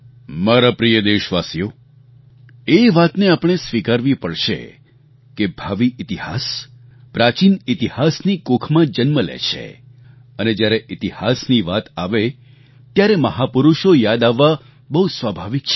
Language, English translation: Gujarati, My dear countrymen, we will have to accept the fact that history begets history and when there is a reference to history, it is but natural to recall our great men